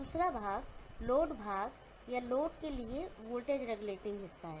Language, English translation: Hindi, The second part is the load part or the voltage regulating part for the load